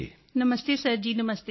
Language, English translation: Punjabi, Namaste Sir Ji, Namaste